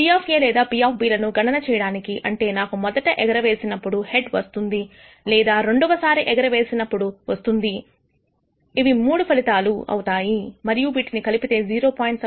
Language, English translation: Telugu, Now in order to compute the probability of A or B which means either I receive a head in the first toss or I receive a head in the second toss, then this comes to three outcomes and together gives you a probability of 0